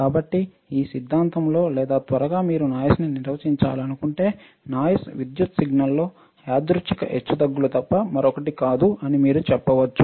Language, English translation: Telugu, So, in theory or quickly if you want to define noise, then you can say that noise is nothing but a random fluctuation in an electrical signal all right